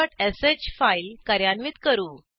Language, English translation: Marathi, Let us run the file factorial.sh